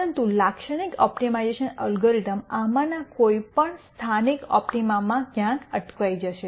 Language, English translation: Gujarati, But a typical optimization algorithm would get stuck anywhere in any of these local optima